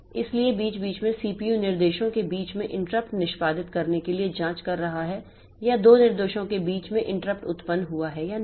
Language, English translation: Hindi, So, in between CPU is checking for executing checks for interrupt between instructions or the interrupt has occurred between two instructions or not